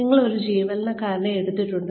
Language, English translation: Malayalam, You have taken an employee